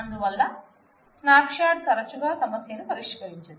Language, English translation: Telugu, So, a snapshot often does not solve the problem